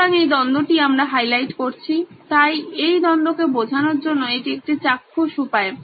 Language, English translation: Bengali, So, this is the conflict as we have highlighted, so this is a visual way to convey this conflict